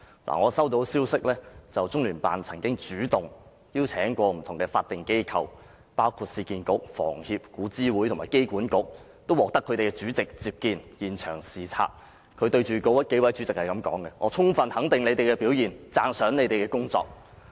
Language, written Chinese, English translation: Cantonese, 我接獲消息，中聯辦曾經主動邀請不同法定機構，包括市區重建局、香港房屋協會、古物諮詢委員會和香港機場管理局會面，並獲所有法定機構的主席接見和到現場視察，中聯辦官員對那數位主席說："我充分肯定你們的表現，讚賞你們的工作。, I have been informed that CPGLO once took the initiative to call meetings with different statutory bodies including the Urban Renewal Authority Hong Kong Housing Society Antiquities Advisory Board and Airport Authority Hong Kong and was met by the chairpersons of all these bodies . CPGLO officials were invited to site inspections and during these inspections they said to the chairpersons that they fully recognized their performance and praised them for their work